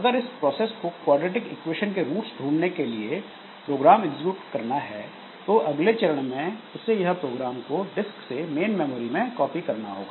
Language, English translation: Hindi, So, if this process has to execute that program for finding roots of quadrary equation, then the next step is to copy the program from the disk into the main memory